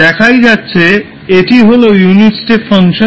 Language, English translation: Bengali, So if you see this, this is the unit step function